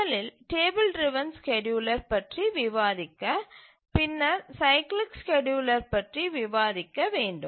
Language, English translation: Tamil, First we'll look at the table driven scheduler and then we'll look at the cyclic scheduler